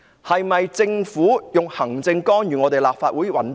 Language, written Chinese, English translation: Cantonese, 是否行政干預立法會的運作？, Is the executive meddling in the operation of the Legislative Council?